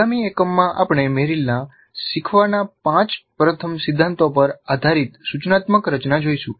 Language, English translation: Gujarati, And in the next unit we will look at an instructional design based on Merrill's 5 first principles of learning